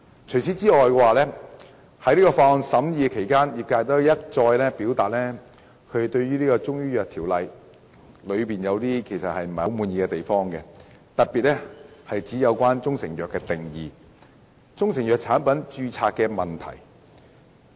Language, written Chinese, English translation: Cantonese, 除此之外，在審議《條例草案》期間，業界一再表達對《中醫藥條例》不滿意的地方，特別是"中成藥"的定義及中成藥產品註冊的問題。, Besides during the scrutiny of the Bill the industry has repeatedly expressed its discontent with the Chinese Medicines Ordinance CMO especially the definition of proprietary Chinese medicine and registration of products of such medicines